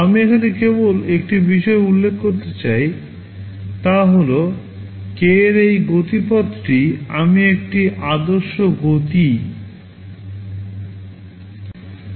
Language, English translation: Bengali, Just one thing I want to mention here is that this speedup of k that I am talking about is an ideal speed up